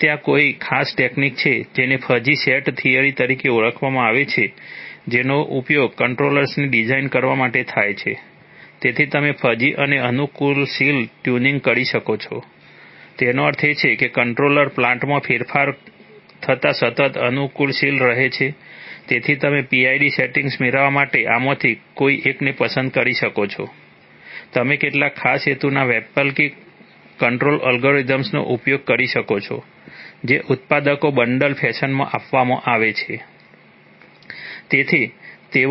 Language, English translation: Gujarati, If there is a there is a special technique called using called fuzzy set theory, which is used to design controllers, so you, so you can have fuzzy and adaptive tuning means that the controller continuously keeps adapting as the plant changes, so you could choose one of these to get the PID settings, you could use some special purpose alternative control algorithms which the manufacturers are providing in a bundled fashion